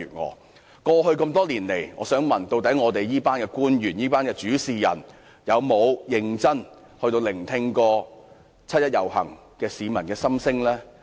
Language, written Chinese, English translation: Cantonese, 我想問，過去多年來，這群官員或主事人有否認真聆聽七一遊行市民的心聲？, May I ask whether these officials or decision makers have ever seriously listened to the voices of the people participating in the 1 July marches over the years?